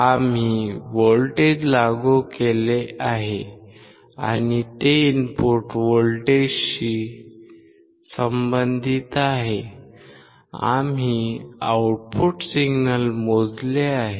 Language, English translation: Marathi, We have applied the voltage and corresponding to the input voltage, we have measured the output signal